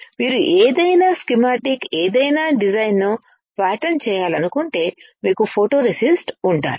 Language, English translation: Telugu, If you want to pattern any schematic any design you need to have a photoresist